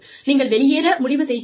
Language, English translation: Tamil, You decide quitting